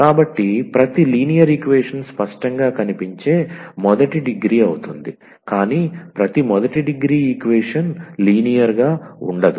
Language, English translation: Telugu, So, every linear equation is of first degree, but not every first degree equation will be a linear